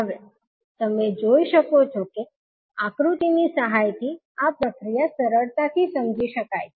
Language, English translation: Gujarati, Now you can see that this procedure can be easily understood with the help of the figure